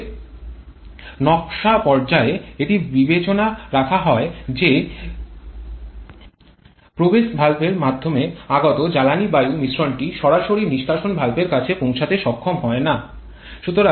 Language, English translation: Bengali, Therefore during the design stage it is kept into consideration that the inlet valve or SOI the fuel air mixture coming through the inlet valve should not be able to reach the exhaust valve directly